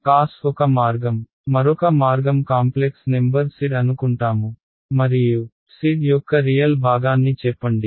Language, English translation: Telugu, Cos is one way, another way would be supposing I give you a complex number z and I asked you give me a real part of z